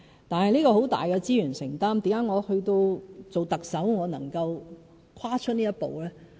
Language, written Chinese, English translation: Cantonese, 但是，這很大的資源承擔，為何我當上特首後能夠跨出這一步呢？, Yes it is a huge commitment of resources but why do I still manage to take such a stride after becoming the Chief Executive?